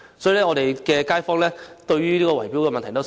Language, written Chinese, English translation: Cantonese, 因此，我們的街坊十分關注圍標問題。, For this reason our residents are very much concerned about bid - rigging